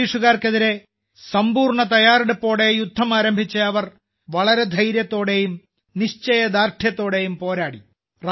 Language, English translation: Malayalam, She started the war against the British with full preparation and fought with great courage and determination